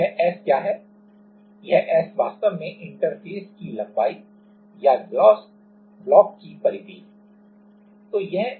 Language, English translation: Hindi, What is this S, this S is actually the length of the interface or the perimeter of the glass block